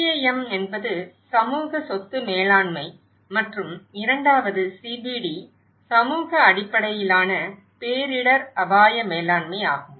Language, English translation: Tamil, CAM is community asset management and the second one is CBD community based disaster risk management